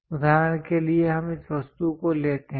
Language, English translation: Hindi, For example, let us take this object